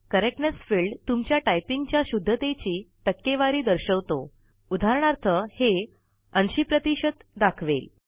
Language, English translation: Marathi, The Correctness field displays the percentage of correctness of your typing.For example, it may display 80 percent